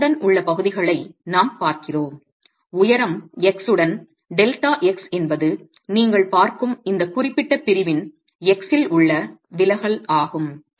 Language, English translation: Tamil, We're looking at sections along X, along the height X, delta X is the deflection at any specific section X that you are looking at